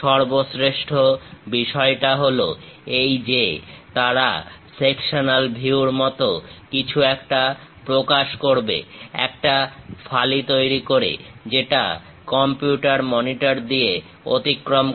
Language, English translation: Bengali, The best part is, they will represent something like a sectional view, making a slice which pass through this computer monitor